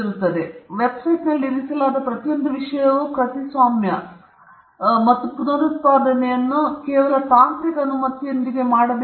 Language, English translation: Kannada, So which means every thing that was put on the website is copyrighted and reproduction should be done only technically with permission